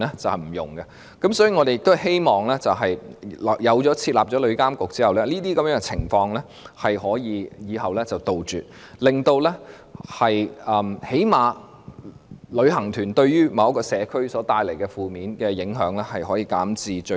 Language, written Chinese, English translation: Cantonese, 所以，我們希望設立旅監局後，日後可以杜絕這些情況，最少令旅行團對社區帶來的負面影響減至最低。, Therefore we hope that upon the establishment of TIA such situations can be eradicated and at least the adverse impacts of tour groups on the community can be minimized